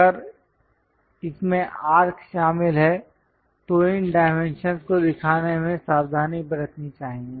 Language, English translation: Hindi, If there are arcs involved in that, one has to be careful in showing these dimensions